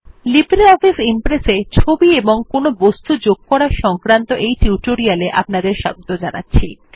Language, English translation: Bengali, Welcome to the Tutorial on LibreOffice Impress Inserting Pictures and Objects